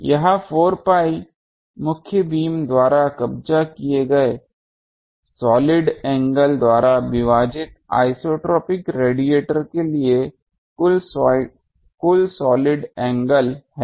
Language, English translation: Hindi, It is 4 pi is the total solid angle for the isotropic radiator divided by solid angle occupied by main beam